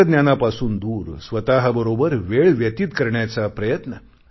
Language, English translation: Marathi, Get away from technology, and try to spend some time with yourself